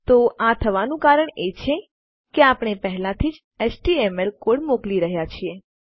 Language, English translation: Gujarati, So the reason that this is happening is we are already sending our html code